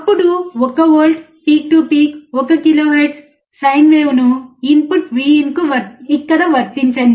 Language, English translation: Telugu, Then apply 1 volt peak to peak sine wave at 1 kHz to the input Vin here, right